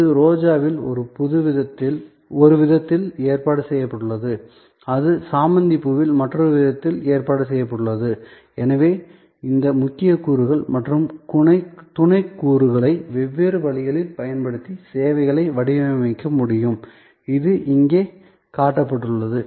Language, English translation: Tamil, It is arranged in one way in Rose, it is arranged in another way in a Marigold flower and therefore, we can design services by using these core elements and the supplement elements different ways and that is shown here